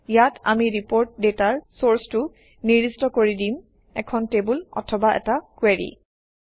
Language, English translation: Assamese, We will specify the source of the report data here: either a table or a query